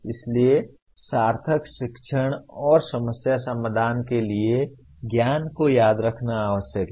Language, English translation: Hindi, So remembering knowledge is essential for meaningful learning and problem solving